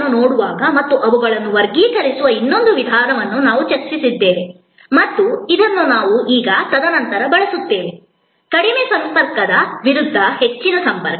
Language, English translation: Kannada, We also discussed another way of looking at services and classifying them and this also we will be using now and then, is the high contact versus low contact